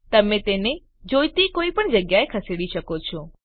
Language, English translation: Gujarati, You can move it wherever required